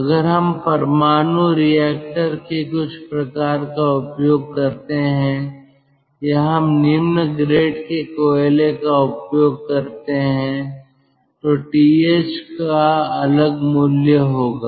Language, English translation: Hindi, if we use, lets say, a low grade coal, if we use some sort of a nuclear reactor, th will have a different value